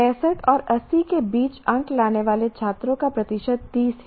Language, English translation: Hindi, Percentage of students getting between 65 and 80 is 30